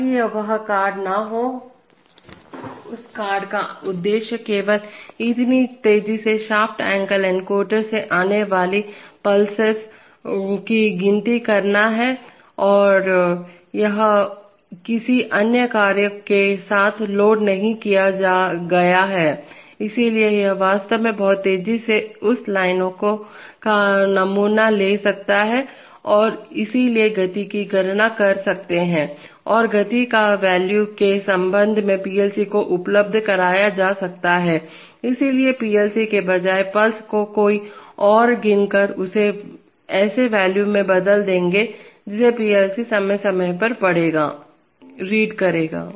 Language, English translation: Hindi, So that card does not have, the purpose of that card is solely to count the pulses coming from such a fast shaft angle encoder, it is not it is not loaded with any other task, so therefore it can really sample that line very fast and therefore can compute the speed and the speed can be made available to the PLC in terms of a value, so rather than the PLC counting the pulses somebody else will count the pulse and we will convert it to a value which the PLC will read from time to time